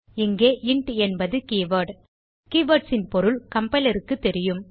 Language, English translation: Tamil, Here, int is a keyword The compiler knows the meaning of keywords